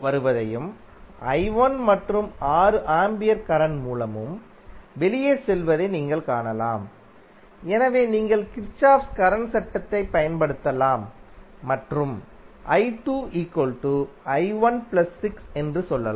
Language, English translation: Tamil, You can see I 2 is coming in and i 1 and 6 ampere current source are going out, so you can simply apply Kirchhoff Current Law and say that i 2 is nothing but i 1 plus 6